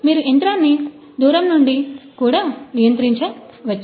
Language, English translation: Telugu, You can control the machine also remotely